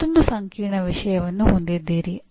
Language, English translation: Kannada, You still have another complex thing